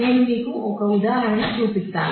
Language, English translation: Telugu, So, let me just show you an example